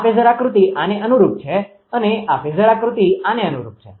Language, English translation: Gujarati, This phasor diagram corresponding to this and this phasor diagram corresponding to this